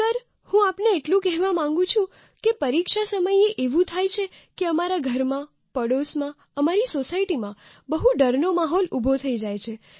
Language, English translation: Gujarati, "Sir, I want to tell you that during exam time, very often in our homes, in the neighbourhood and in our society, a very terrifying and scary atmosphere pervades